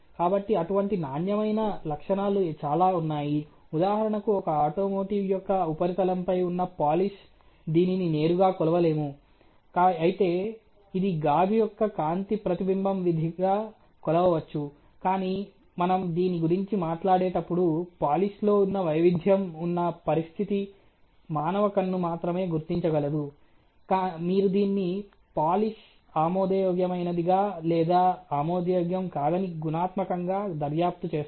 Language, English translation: Telugu, So, there are many such quality characteristics, let us say for example, the polish on a surface of an automotive, it cannot be measured by you know directly although it can be probably as a function of the glass of the reflectance of light, but when we are talking about a situation where is a minor variation in policy which only the human eye can record, you will actually qualitatively investigate that as polish being acceptable or not acceptable